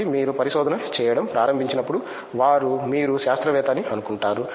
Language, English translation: Telugu, So, when you started doing research they think you are a scientist